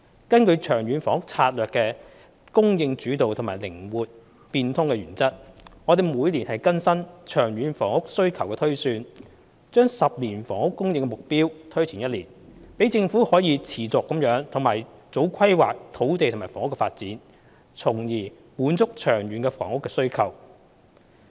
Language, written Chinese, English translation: Cantonese, 根據《長遠房屋策略》的"供應主導"和"靈活變通"原則，我們每年更新長遠房屋需求推算，將10年房屋供應目標推前1年，讓政府可持續地及早規劃土地及房屋的發展，從而滿足長遠的房屋需求。, According to the supply - led and flexible principles of the Long Term Housing Strategy we update the long - term housing demand projection annually and bring the achievement of the 10 - year housing supply target forward by one year so that the Government can continually plan ahead on developing land and housing in order to meet the housing needs over the long term